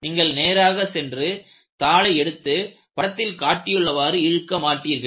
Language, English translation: Tamil, You will not go and take the paper, and pull it like this